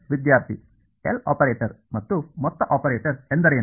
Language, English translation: Kannada, What is the L operator and a sum operator